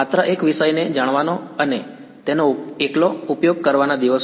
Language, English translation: Gujarati, The days of just knowing one subject and using that alone